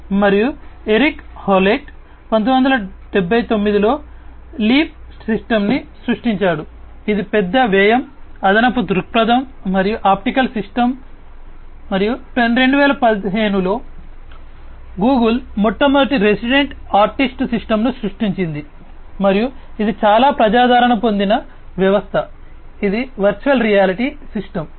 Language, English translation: Telugu, And Eric Howlett, in 1979 created the leap system, which is the large expense, extra perspective, optical system, and in 2015, Google created the first ever resident artist system and that is a quite popular system, it is a virtual reality system